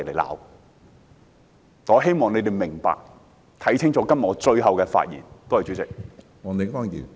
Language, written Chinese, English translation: Cantonese, 我希望市民明白，看清楚我今天發言的用意。, I hope that members of the public will understand and discern my intention of delivering a speech today